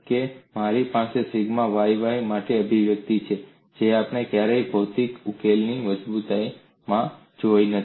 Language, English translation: Gujarati, Then you have a surprise that I have an expression for sigma yy, which we never saw in strength of material solution